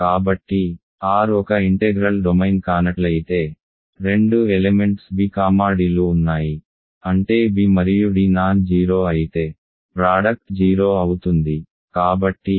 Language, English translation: Telugu, So, if R is not an integral domain in other words there exists two element b comma d such that b and d are non 0 but the product is 0